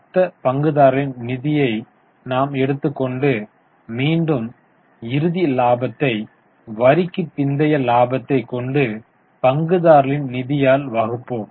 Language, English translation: Tamil, So, we will take the final profit and divide it by from the balance profit after tax divided by shareholders funds